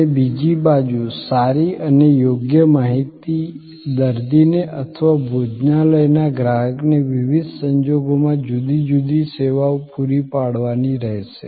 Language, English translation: Gujarati, And on the other hand, good information, right appropriate information will have to be provided to the patient or to the restaurant customer in different services in different circumstances